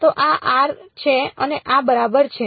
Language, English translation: Gujarati, So, this is r and this is r ok